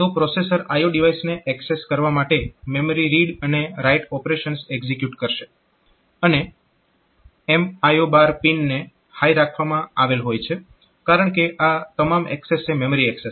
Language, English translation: Gujarati, So, the processor will execute memory read and write operations for accessing the I O device and this M by I O bar pin, so that is asserted high because all accesses are memory access